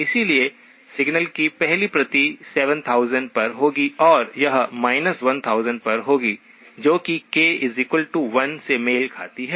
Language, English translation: Hindi, So the first copy of the signal will be at 7000 and it will be at minus 1000, that is corresponds to k equal to 1